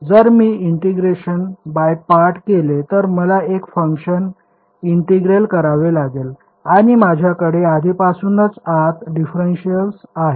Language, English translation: Marathi, If I do integration by parts I have to integrate one function and I already have the differential inside there